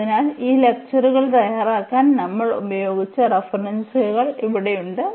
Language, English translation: Malayalam, So, here these are the references we have used to prepare these lectures and